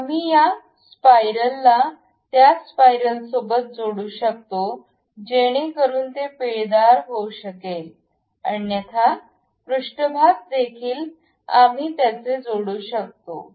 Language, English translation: Marathi, We can mate this spiral with that spiral, so that it can be screwed otherwise surfaces are also we can really mate it